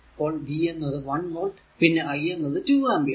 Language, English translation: Malayalam, So, first one is given V 1 is equal to 1 volt and I is equal to 2 ampere